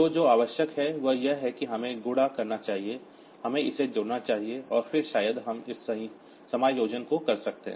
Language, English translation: Hindi, So, what is required is that we should do the multiplication, we should do this addition and then maybe we can do this adjustment